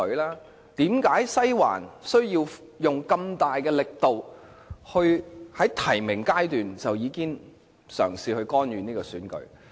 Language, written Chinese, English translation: Cantonese, 為何"西環"需要使用這麼大的力度，在提名階段已經嘗試干預這次選舉？, Why did Western District put in so much effort to interfere in this election even during the nomination stage?